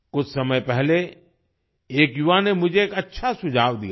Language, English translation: Hindi, Some time ago a young person had offered me a good suggestion